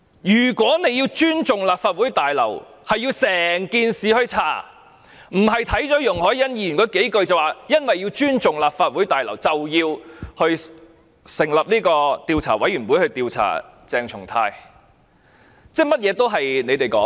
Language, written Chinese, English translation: Cantonese, 如果要尊重立法會綜合大樓，就要徹查整件事，而不是單看容海恩議員的議案措辭，便說要尊重立法會綜合大樓，所以要成立調查委員會調查鄭松泰議員。, If we should respect the Complex we should conduct a thorough investigation into the incident . We should not simply read Ms YUNG Hoi - yans motion wording and then jump to the conclusion that we should respect the Complex and establish an investigation committee to investigate Dr CHENG Chung - tai